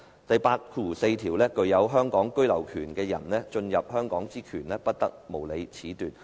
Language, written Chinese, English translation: Cantonese, "第八條第四款訂明："具有香港居留權的人進入香港之權，不得無理褫奪。, Article 84 stipulates No one who has the right of abode in Hong Kong shall be arbitrarily deprived of the right to enter Hong Kong